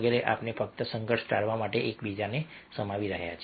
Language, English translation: Gujarati, so we are, we are just accommodating each other to avoid conflict